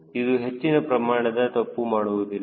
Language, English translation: Kannada, it doesnt make much of an error